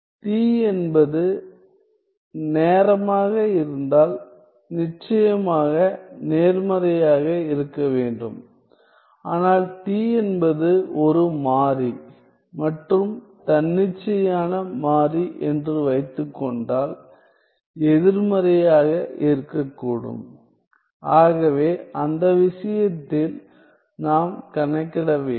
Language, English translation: Tamil, Well if t is time then t of course, needs to be positive, but suppose t is a variable and independent variable we could have t negative so, in that case we have to calculate